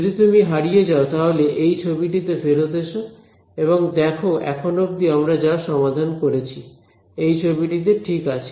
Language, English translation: Bengali, So, whenever you get lost come back to this picture and see what have we solved so far in this picture fine alright